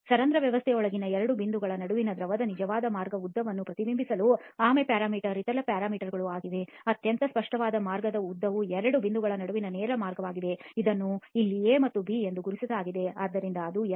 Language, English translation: Kannada, The other parameter is the tortuosity parameter which reflects the actual path length of the fluid between two points inside the porous system, okay the most obvious path length is the direct path between two points which is marked here as A and B so that is L